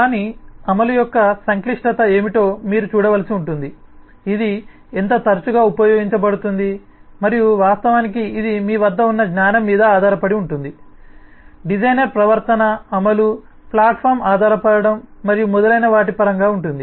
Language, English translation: Telugu, you will have to look out what is the complexity of its implementation, how often it can be used and, of course, it will depend on the knowledge that you have, the designer has in terms of the behavior’s implementation, the platform dependence and so on